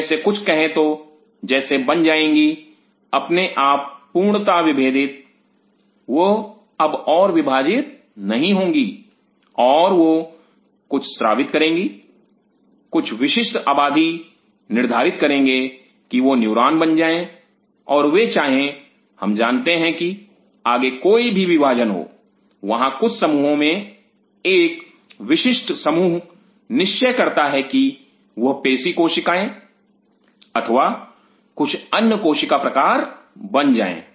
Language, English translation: Hindi, Some of them say becomes like fully differentiate itself they will not divide any further they may secrete something some from specific population may decide that they become neuron and they want you know divide any further there is some from in population a specific population decided that they will become muscle cells or some other cell time